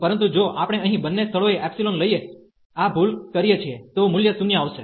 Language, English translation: Gujarati, But, if we do this mistake here by taking the epsilon at both the places, then the value is coming to be 0